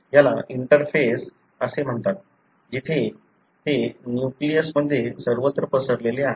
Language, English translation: Marathi, This is called as interface, where it is, it is spread out everywhere in the nucleus